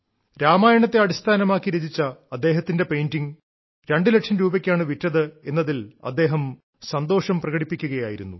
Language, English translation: Malayalam, He was expressing happiness that his painting based on Ramayana had sold for two lakh rupees